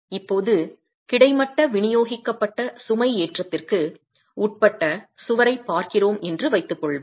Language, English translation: Tamil, Now assuming we are looking at the wall subjected to horizontal distributable loading